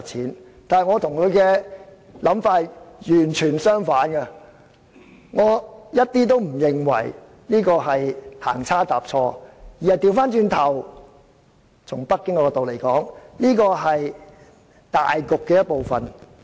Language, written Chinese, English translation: Cantonese, 然而，我與涂議員的想法完全相反，我一點也不認為這是行差踏錯，反過來從北京的角度來看，這是大局的一部分。, Nevertheless my view is totally different from that of Mr TO . I do not consider NPCSCs decision an inadvertent error . On the contrary the decision is part of the major plan from Beijings point of view